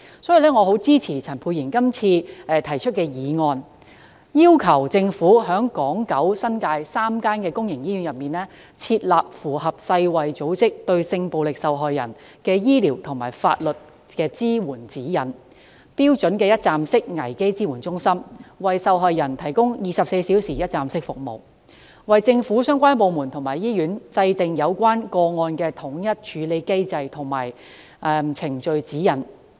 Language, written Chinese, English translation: Cantonese, 所以，我十分支持陳沛然議員今次提出的議案，要求政府在港島、九龍和新界3間公營醫院內，設立符合世界衞生組織發出的《對性暴力受害人之醫療及法律支援指引》的一站式危機支援中心，為受害人提供24小時一站式服務，並為政府相關部門和醫院制訂有關個案的統一處理機制和程序指引。, No standardized procedures and guidelines for handling such cases are in place either . I therefore fully support the motion moved by Dr Pierre CHAN today which urges the Government to set up in accordance with the Guidelines for medico - legal care for victims of sexual violence issued by the World Health Organization WHO a one - stop crisis support centre in three public hospitals respectively on Hong Kong Island in Kowloon and in the New Territories to provide sexual violence victims with 24 - hour one - stop services . The Government is also urged to establish a standardized mechanism and lay down procedural guidelines for handling such cases by relevant government departments and hospitals